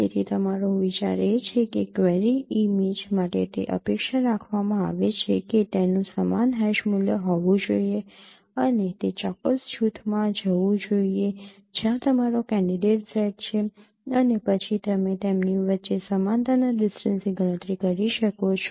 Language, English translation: Gujarati, So your idea is that for a query image it is expected that it should have a similar hash value and it should go to that particular group where your candidate set is expected to be there